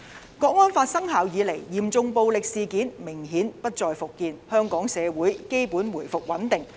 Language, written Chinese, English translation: Cantonese, 《香港國安法》生效以來，嚴重暴力事件明顯不再復見，香港社會基本回復穩定。, Since the implementation of the National Security Law serious violent incidents have become things of the past . Hong Kong has generally restored stability